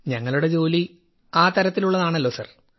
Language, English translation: Malayalam, Sir, our line of work is like that